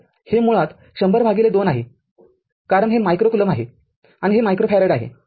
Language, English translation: Marathi, So, it is basically 100 by 2 because if the micro coulomb and it is micro farad